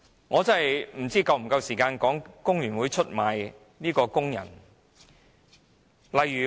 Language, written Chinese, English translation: Cantonese, 我不知道是否有足夠時間討論工聯會出賣工人的事件。, I do not know if I have enough time to talk about FTUs betrayals of workers